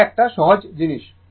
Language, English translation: Bengali, It is simple thing